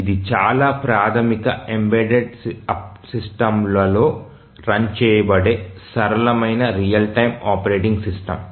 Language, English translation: Telugu, So, this is the simplest real time operating system run on the most elementary embedded systems